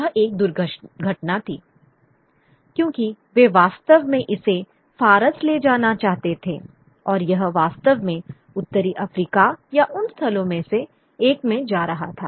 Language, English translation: Hindi, It was a bit of an accident because they really wanted to take it to Persia and it was going through North Africa really and or one of those destinations